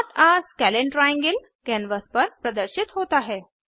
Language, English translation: Hindi, Not a scalene triangle is displayed on the canvas